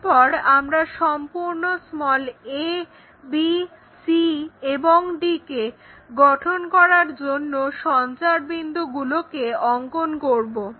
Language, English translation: Bengali, Once we know we can construct locus points to construct complete a, b, c, and d